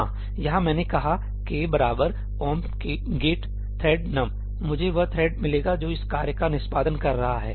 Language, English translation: Hindi, Yeah, here if I said ëk equal to omp get thread num()í, I would get the thread which is executing this task